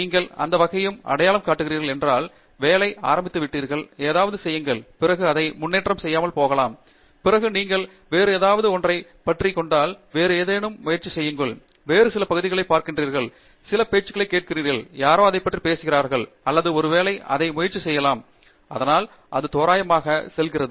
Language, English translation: Tamil, In case you kind of identify any area, start working, you do something, and then you invariably may not make progress, then you stumble on something else, then you try something else, then you see some other area, you listen to some talks, somebody is talking about that or maybe I try this; so it kind of goes randomly